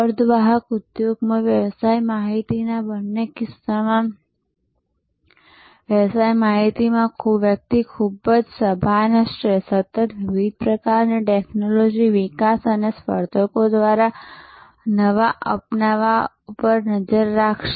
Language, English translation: Gujarati, And in either case within the business intelligences in a semiconductor industry, In business intelligence, one would be very conscious, constantly tracking the various kinds of technology developments and new adoptions by competitors